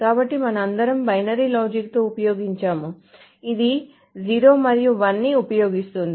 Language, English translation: Telugu, So we have been all used with binary logic which is using 0 and 1